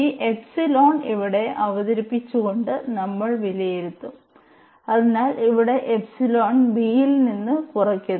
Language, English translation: Malayalam, We will evaluate by taking by introducing this epsilon here and so, here we have introduced this epsilon and subtracted from the b